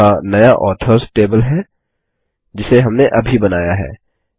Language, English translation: Hindi, There is the new Authors table we just created